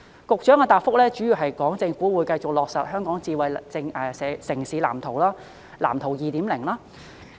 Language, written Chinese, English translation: Cantonese, 局長的答覆主要表示，會繼續落實《香港智慧城市藍圖》及其第二版《藍圖 2.0》。, In reply the Secretary mainly stated that the Smart City Blueprint for Hong Kong and its second version―Blueprint 2.0 would continue to be implemented